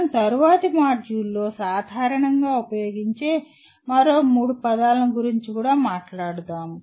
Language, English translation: Telugu, We will also be talking about three other words that we normally use in the next module